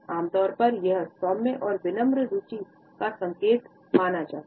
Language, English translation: Hindi, Normally, it is considered to be a sign of mild and polite interest